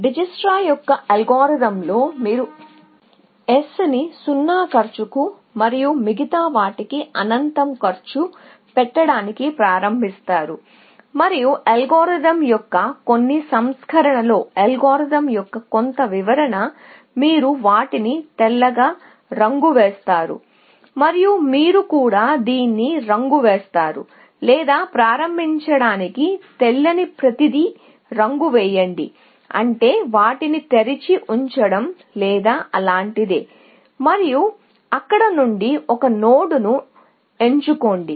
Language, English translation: Telugu, In Dijikistra’s algorithm, you would initialize S to cost 0, and everything else to cost infinity, and maybe, in some versions of the algorithm, some description of the algorithm, you will color them white, and you will color this; or color everything white to start with, which is like putting them on open, or something like that, and pick one node from there